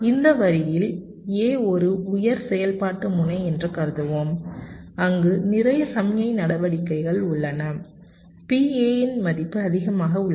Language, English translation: Tamil, lets assume that this line a is a high activity node, where there is lot of signal activities, the value of p a is higher